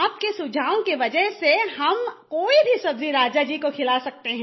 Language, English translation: Hindi, Because of your suggestion now I can serve any vegetable to the king